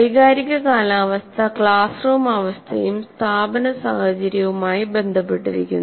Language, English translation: Malayalam, Now, the emotional climate is related directly to the classroom climate and the institutional climate